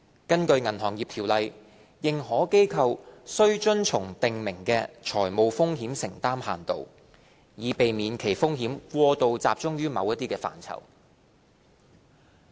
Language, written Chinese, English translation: Cantonese, 根據《銀行業條例》，認可機構須遵從訂明的財務風險承擔限度，以避免其風險過度集中於某些範疇。, Under BO AIs are subject to the prescribed limits and restrictions on financial exposures which seek to prevent an AIs exposures from becoming overly concentrated in certain aspects